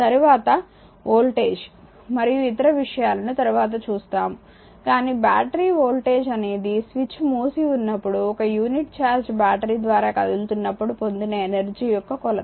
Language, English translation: Telugu, Later will see the your voltage another things , but the battery voltage is a measure of the energy gain by unit of charge as it moves through the battery, but of course, if the switch is switch is closed right